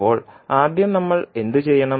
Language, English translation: Malayalam, Now first, what we have to do